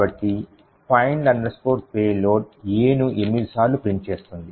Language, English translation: Telugu, So find payload would print A 8 times